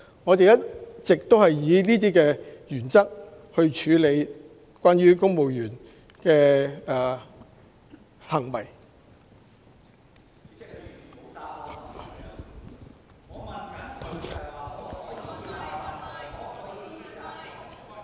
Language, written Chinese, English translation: Cantonese, 我們一直以此為準則，處理公務員行為。, We have all along applied this yardstick to deal with the conduct of civil servants